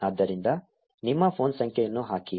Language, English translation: Kannada, So put in your phone number